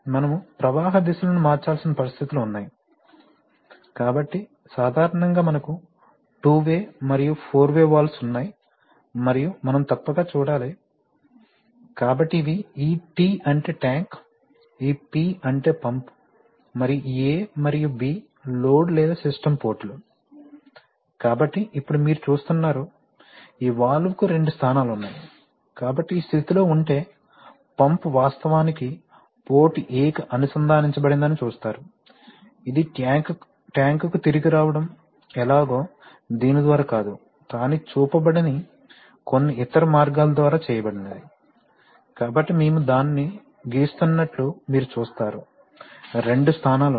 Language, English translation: Telugu, There are situations where we need to change flow directions, so typically we have two way and four way valves and we must see, so these are, this T means tank, this P means pump and this A and B at the load ports, load or system ports, so now you see that, this valve has two positions okay, so if in this position, you see that the pump is actually connected to the port A, how it is going to come back to the tank is not through this but through some other path which is not shown, so you see that we draw it, there are two positions